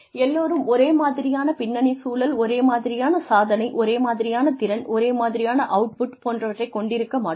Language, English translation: Tamil, Everybody cannot have the same kind of background, same kind of achievement, same kind of potential, the same kind of output